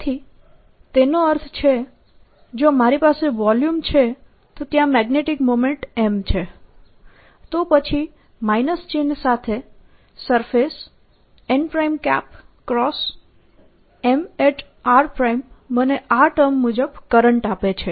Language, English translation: Gujarati, so what it means is, if i have a volume where is there some magnetic moment, m, then the surface n cross m with the minus sign gives me the surface current